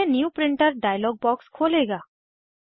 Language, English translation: Hindi, It will open the New Printer dialog box